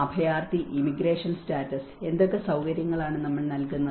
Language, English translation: Malayalam, The refugee, immigration status and what kind of facilities we provide and not